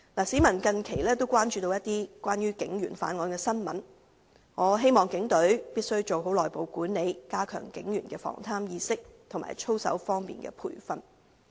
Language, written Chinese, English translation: Cantonese, 市民近期亦關注有關警員犯案的新聞，我希望警隊必須做好內部管理，加強警員的防貪意識及操守的培訓。, Recently members of the public have also paid much attention to news about crimes committed by police officers . I hope the Police Force will exercise proper internal management and enhance the training of police officers in anti - corruption awareness and conduct